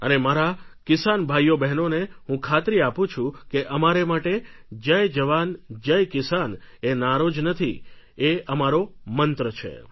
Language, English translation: Gujarati, I want to reassure my farmer brothers and sisters that 'Jai Jawan Jai Kisan' is not merely a slogan, it is our guiding Mantra